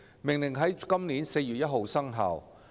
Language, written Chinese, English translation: Cantonese, 《命令》在今年4月1日生效。, The Order became effective from 1 April this year